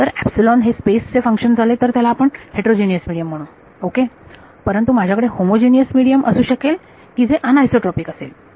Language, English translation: Marathi, If epsilon becomes a function of space then we call it a heterogeneous medium ok, but I can have a homogeneous medium that is anisotropic